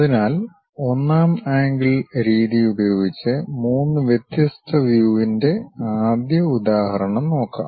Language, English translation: Malayalam, So, let us take first example three different views using 1st angle method